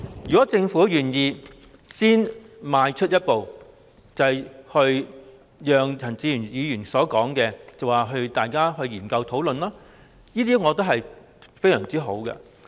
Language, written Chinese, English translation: Cantonese, 如果政府願意先邁出一步，如陳志全議員所說讓大家作出研究、討論，我認為會非常好。, I think it will be perfect if the Government is willing to take the first step so as to enable a study and discussion on the matter to be carried out as suggested by Mr CHAN Chi - chuen